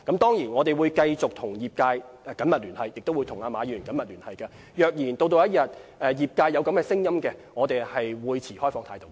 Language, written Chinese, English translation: Cantonese, 當然，我們會繼續跟業界及馬議員緊密聯繫，如果業界要求，我們會持開放態度。, But of course we will continue to liaise closely with the industries and Mr MA . We remain open in this regard if the sectors do have such a request